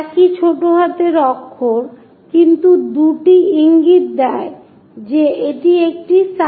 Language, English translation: Bengali, Same lower case letter, but two’s indicates that it is a side view